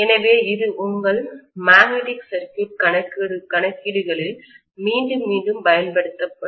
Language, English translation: Tamil, So this will be used time and again in all your magnetic circuit calculations